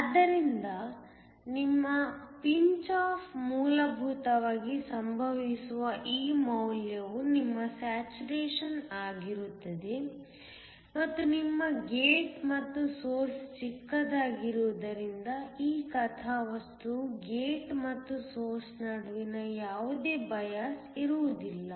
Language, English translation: Kannada, So, this value where your pinch off essentially occurs is your saturation and this plot is when your gate and source are shorted, so that there is no bias between the gate and the source